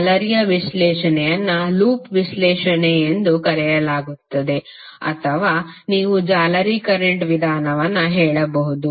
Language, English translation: Kannada, Now this is; mesh analysis is also called loop analysis or you can say mesh current method